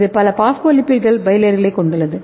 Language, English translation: Tamil, And it is consist of multiple phospholipids bilayers